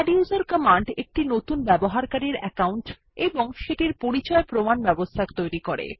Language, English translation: Bengali, The adduser command will create a new user login for us along with authentication